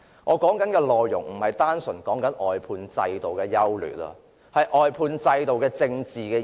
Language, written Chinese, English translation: Cantonese, 我說的不是單純關乎外判制度的優劣，而是它的政治意義。, My speech is not purely about the pros and cons of the outsourcing system; it is about the political significance of the system